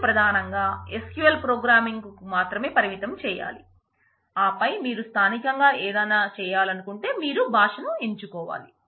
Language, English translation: Telugu, You should primarily restrict to SQL programming, and then anything that you need to do in the native, you should go to choose your language and do that